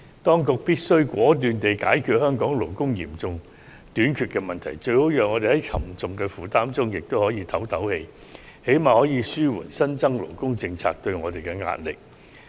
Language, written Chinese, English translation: Cantonese, 當局必須果斷地解決香港勞工嚴重短缺的問題，好讓我們在沉重的負擔中透一口氣，最低限度也可紓緩新增勞工政策對我們造成的壓力。, The Government should act decisively to resolve the problem of acute labour shortage in Hong Kong so as to give the sector relief from the heavy burden or at least relieve the pressure of new labour policies on the sector